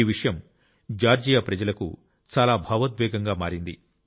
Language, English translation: Telugu, This is an extremely emotional topic for the people of Georgia